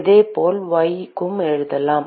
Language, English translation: Tamil, Similarly, we can write for y: